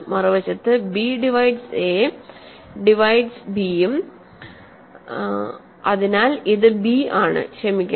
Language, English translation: Malayalam, On the other hand, b divides a also, a divides b also; so, this is b sorry